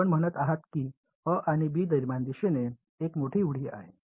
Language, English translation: Marathi, You are saying that between a and b, there is a big jump in direction